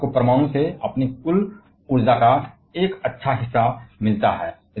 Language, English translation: Hindi, France gets a good share of their total energy from nuclear